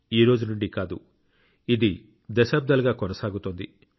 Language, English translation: Telugu, And this is not about the present day; it is going on for decades now